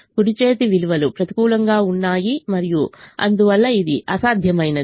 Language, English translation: Telugu, the right hand side values are negative and therefore this is infeasible